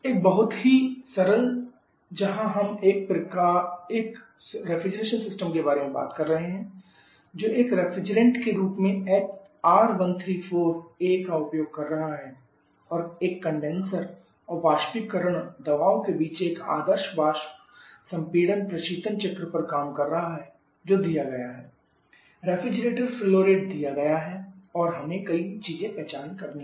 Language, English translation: Hindi, So let us now she we can see complete numerical example A very simple one area talking refrigeration system, which is R134 as a refrigerant and is operating on an ideal vapour compression Refrigeration cycle between air conditioner water pressures given refrigerator flow rate is given and we have to identify several things